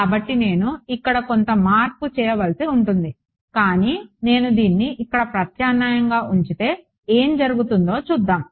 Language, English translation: Telugu, So some change I will have to make over here, but let us see if I substitute this in here what happens